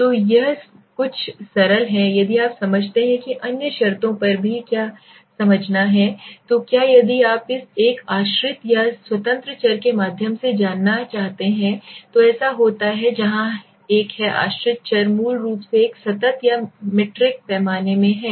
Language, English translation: Hindi, So this is a few simply if you understand on what to understand on other terms also so what happens is if you want to go through a dependent or independent variable the anova is one where the dependent variable is basically in a continuous or metric scale